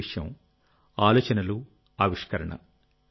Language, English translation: Telugu, The first aspect is Ideas and Innovation